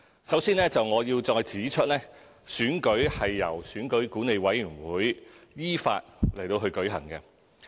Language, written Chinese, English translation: Cantonese, 首先，我要再指出，選舉是由選舉管理委員會依法舉行。, First I have to reiterate that elections are conducted by the Electoral Affairs Commission EAC in accordance with law